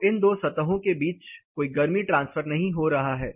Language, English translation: Hindi, So, these two sides there is no heat transfer which is happening